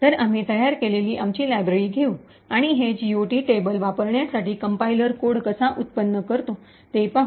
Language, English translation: Marathi, So, we will take our library that we have created and see how the compiler generates code for using this GOT table